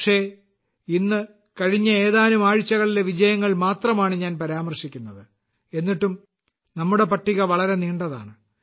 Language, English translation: Malayalam, But, today, I am just mentioning the successes of the past few weeks, even then the list becomes so long